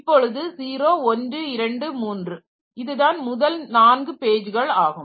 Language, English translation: Tamil, 3, so this is the first 4 pages